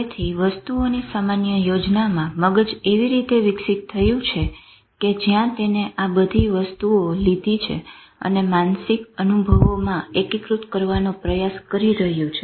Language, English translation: Gujarati, So, in the general scheme of things, the brain has evolved in a way where it has taken all these things and trying to integrate into a mental experience